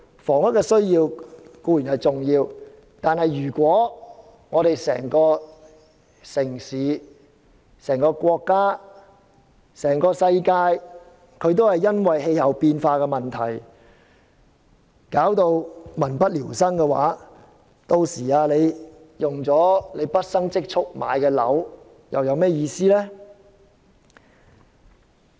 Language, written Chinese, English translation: Cantonese, 房屋固然重要，但如果整個城市、國家、世界都因為氣候變化而導致民不聊生，屆時即使大家花費畢生儲蓄買了個單位，又有何意義？, Housing is of course very important but if the entire city country and even the whole world become unsuitable for living as the result of climate change what purpose does it serve if we have used our lifetime saving to buy a flat?